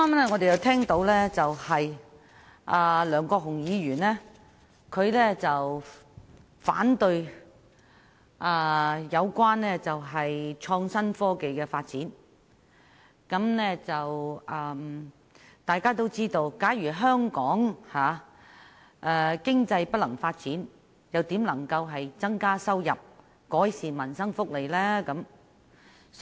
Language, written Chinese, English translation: Cantonese, 我剛才聽到梁國雄議員表示反對發展創新科技，但大家皆知道，假如香港經濟無法發展，又如何可以增加收入，改善民生福利呢？, Just now I heard Mr LEUNG Kwok - hung say that he opposed the development of innovation and technology . But as Members all know how can Hong Kong possibly increase its revenue and in turn improve peoples livelihood and welfare benefits if it is unable to develop its economy?